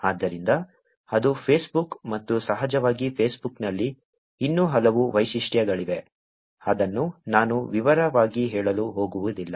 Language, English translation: Kannada, So, that is Facebook and of course, there are many, many other features in Facebook, which I am not going to go in detail